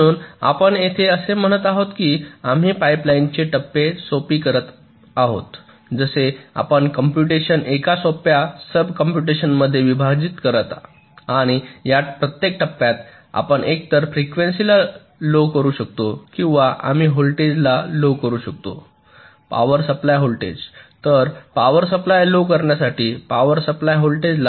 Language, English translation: Marathi, so here you are saying that we are making the pipe line stages simpler, just like you do divide a computation into simpler sub computation and each of this stages we can either reduce the frequency or we can reduce the voltage, power supply voltage